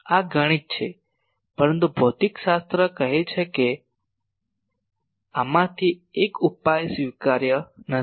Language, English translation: Gujarati, This is mathematics but physics says that out of this one solution is not acceptable